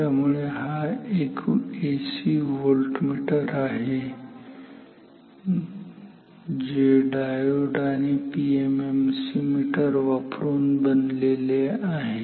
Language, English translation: Marathi, So, this is AC voltmeter which is made up of our diode and PMMC meter